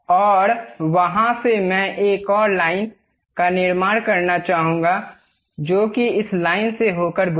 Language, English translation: Hindi, And from there I would like to construct one more line passing through that and tangent to this line